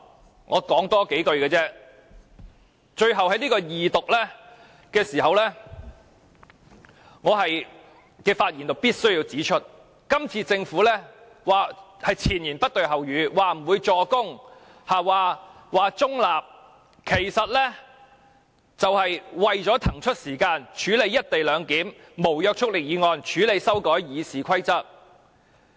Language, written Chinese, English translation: Cantonese, 最後，我只會多說數句，在恢復二讀這個時候，我必須指出，政府這次是前言不對後語，說不會"助攻"，說保持中立，其實是為了騰出時間處理有關"一地兩檢"的無約束力議案，處理修改《議事規則》。, To end let me just say a few words . At this time when the Second Reading debate is resumed I must point out that the Government has made contradictory remarks . While it said that it would not play assists and that it would remain neutral actually its intention is to give time to the non - binding motion on co - location arrangement and the amendment of RoP